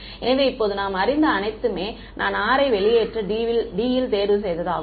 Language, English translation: Tamil, So, this all we know now I can choose to move r out of D right